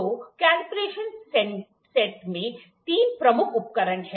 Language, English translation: Hindi, So, the combination set has three major devices